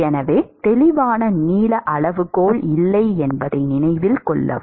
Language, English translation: Tamil, So, note that there is no clear length scale right